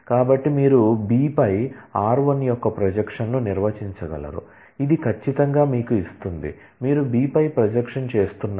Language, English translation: Telugu, So, using that you can define a projection of r1 on B, which will certainly give you it is you are doing projection on B